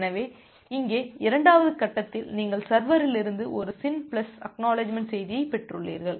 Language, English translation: Tamil, So, here in the second stage you have received a SYN plus ACK message from the server